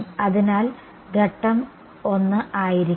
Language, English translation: Malayalam, So, step 1 would be